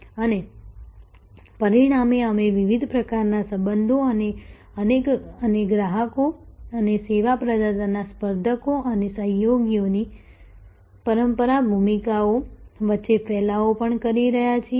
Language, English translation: Gujarati, And as a result we are also seeing different kinds of relationships and the diffusion among the traditional roles of customers and service provider’s competitors and collaborators